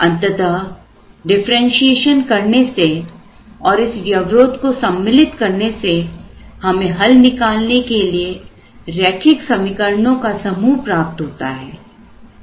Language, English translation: Hindi, So, finally, what will happen is on differentiation and inclusion of this constraint we will have a set of linear equations to solve